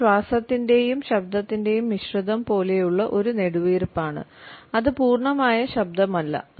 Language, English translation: Malayalam, It is a sigh like mixture of breath and voice it is not quite a full voice so to say